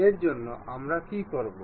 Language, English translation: Bengali, For that purpose what we will do